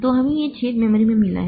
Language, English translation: Hindi, So, we have got these holes in the memory